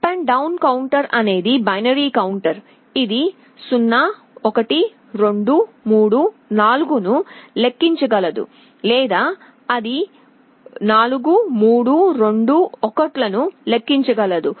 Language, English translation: Telugu, Up/down counter is a binary counter which can either count up 0, 1, 2, 3, 4 or it can count down 4, 3, 2, 1